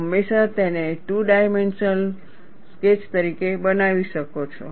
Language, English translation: Gujarati, You can always make it as two dimensional sketch